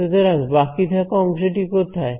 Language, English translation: Bengali, So, where is the remaining gap